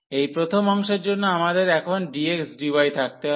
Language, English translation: Bengali, So, for this first part we will have we want to have now the dx dy